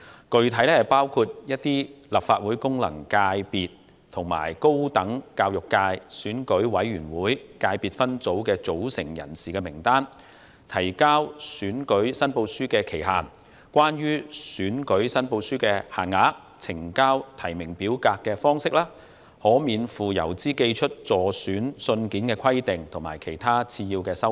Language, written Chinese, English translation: Cantonese, 具體內容包括，某些立法會功能界及一個選舉委員會界別分組的組成人士名單、提交選舉申報書的期限、關於選舉申報書的限額、呈交提名表格的方式、可免付郵資而寄出的信件的規定，以及其他次要修訂。, The specific content include the lists of persons comprising certain Legislative Council functional constituencies and an Election Committee subsector; the deadline for lodging election returns the limits prescribed for certain matters in election returns the ways in which nomination forms are to be submitted; the requirements for letters that may be sent free of postage by candidates; and other minor amendments